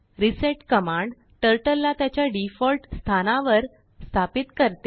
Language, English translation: Marathi, reset command sets Turtle to its default position